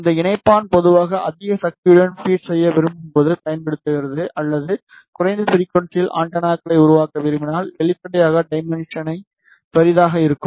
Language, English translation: Tamil, This connector is generally used when we want to feed with high power or if you want to make the antennas at lower frequency, then obviously the dimension will be lie